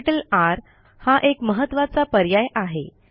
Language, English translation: Marathi, Among the options R is an important one